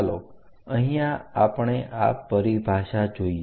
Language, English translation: Gujarati, Let us here look at this terminology